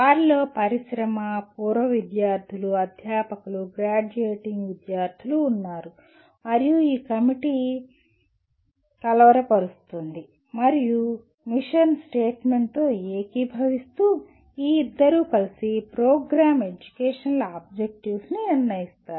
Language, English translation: Telugu, They include industry, alumni, faculty, graduating students and this committee will brainstorm and together looking at the mission statement these two together will decide what the, we will try to write what are the Program Educational Objectives